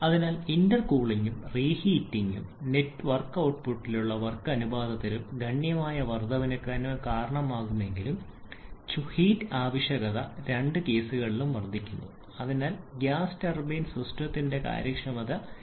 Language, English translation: Malayalam, So, both intercooling and reheating can cause significant increase in the network output and work ratio but heat input requirement also increases in both the cases and therefore the efficiency of the gas turbine system may suffer